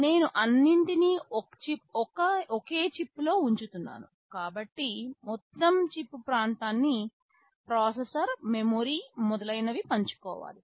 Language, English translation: Telugu, Since I am putting everything on a single chip, the total chip area has to be shared by processor, memory, etc